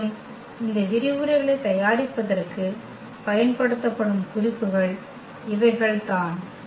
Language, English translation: Tamil, And, these are the references used for this for preparing these lectures